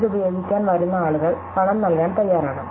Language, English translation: Malayalam, And people, who come to use it are willing to pay to use it